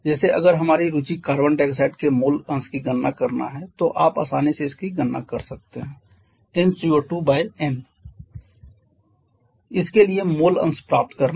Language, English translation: Hindi, Like if our interest will be the mole fraction of carbon dioxide then you can easily calculate that has n CO 2 divided by n to get the mole fraction for this